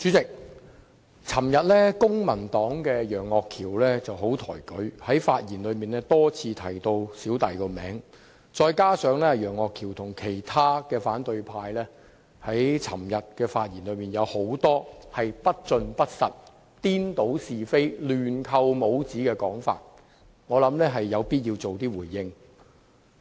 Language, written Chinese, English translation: Cantonese, 代理主席，昨天，公民黨的楊岳橋議員很抬舉我，在發言時多次提及我的名字，再加上他和其他反對派議員的發言內容有很多不盡不實、顛倒是非、亂扣帽子的地方，所以我有必要作出回應。, Deputy Chairman yesterday Mr Alvin YEUNG from the Civil Party flattered me by mentioning my name time and again in his speech . As the contents of the speeches made by him and other Members in the opposition camp are mostly incomplete and inaccurate confusing right and wrong as well as blindly putting labels on others I thus feel obliged to respond